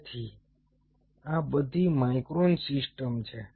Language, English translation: Gujarati, so these are all micro systems